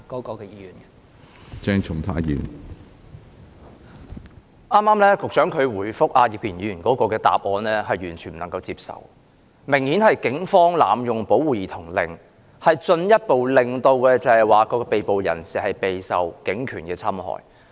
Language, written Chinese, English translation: Cantonese, 局長剛才就葉建源議員提問所作的答覆，可說是完全不能接受，因警方顯然是濫用保護兒童令，令被捕人士進一步受警權的侵害。, The reply given by the Secretary just now to Mr IP Kin - yuens supplementary question is completely unacceptable because there has obviously been an abusive use of child protection orders by the Police thus further subjecting the arrestees to the abuse of police powers